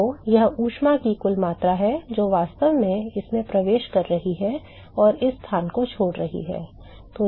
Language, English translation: Hindi, So, that is the total amount of heat that is actually entering this and leaving this place